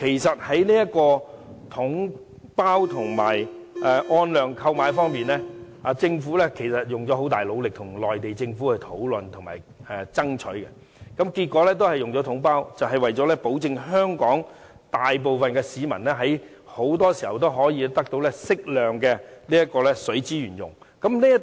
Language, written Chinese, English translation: Cantonese, 在"統包總額"和按量購買之間，政府花了很大努力跟內地政府討論和爭取，結果還是使用"統包總額"模式，就是為了保證香港大部分市民長期得到適量的水資源使用。, The Government has put a lot of efforts to discuss and bargain with the Mainland authorities . Between the package deal lump sum approach and the quantity - based charging approach the former has been adopted in the end because it ensures that the majority of Hong Kong people can have access to sufficient water resources in the long run